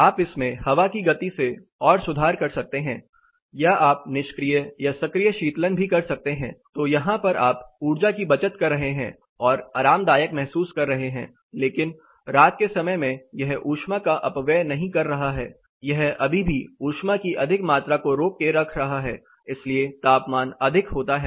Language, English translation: Hindi, Further you can enhance it with air movement or you can have some passive as well as active cooling, so here you are saving energy and you are being comfortable, but night time it is also not dissipating the heat it is still holding this much amount of heat; so the temperatures are higher